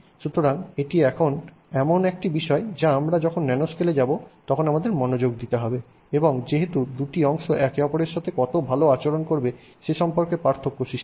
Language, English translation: Bengali, So, so this is something that we have to pay attention to when we go into the nanoscale and because that makes a difference on how well the two parts will now behave with respect to each other